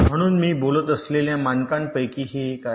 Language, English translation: Marathi, so this is actually one of the standards like i was talking about